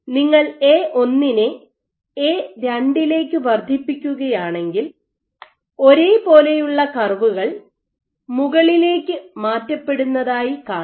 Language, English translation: Malayalam, If you increase A1 to A2 you would get similarly curves which shift upward